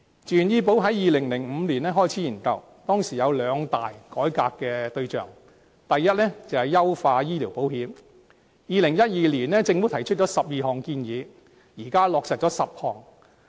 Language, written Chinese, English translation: Cantonese, 自願醫保在2005年開始研究，當時有兩大改革對象，第一，是優化醫療保險 ；2012 年，政府提出12項建議，現在已落實10項。, When the study on VHIS commenced in 2005 there were two major targets of reform . First it is optimization of medical insurance . In 2012 the Government put forward 12 proposals and 10 of them have already been implemented at present